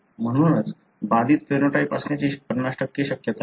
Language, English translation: Marathi, That is why it is 50% probability of having the affected phenotype